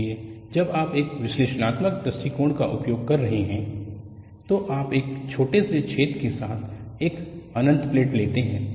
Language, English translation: Hindi, So, when you are doing an analytical approach, you take an infinite plate with a small hole